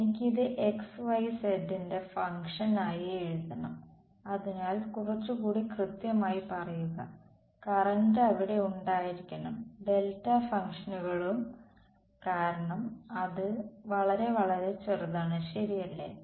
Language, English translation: Malayalam, I have to write it as a function of xyz; so, be little bit more precise and how I write the current has to be there have to be delta functions because it is very very small right